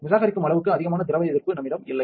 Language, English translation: Tamil, So, we do not have as much liquid resist discard